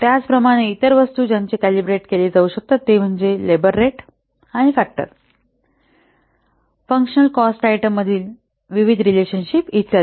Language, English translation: Marathi, Similarly, the other items they can be calibrated are labor rates and factors, various relationships between the functional cost items, etc